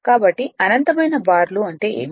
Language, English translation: Telugu, So, what is infinite bars